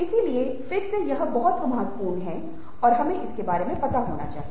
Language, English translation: Hindi, so again, that's very, very significant and we need to be aware of it